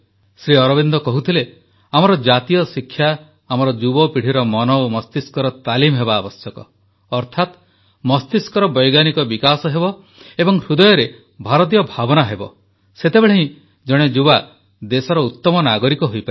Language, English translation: Odia, Sri Aurobindo used to say that our national education should focus on training of the hearts and minds of our younger generation, that is, scientific development of the mind and Indian ethos residein the heart should also be there, then only a young person can become a better citizen of the country